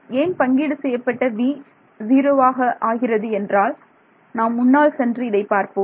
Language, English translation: Tamil, So, why for the shared edge v will become 0 is because well let us go back to let us go back to yeah here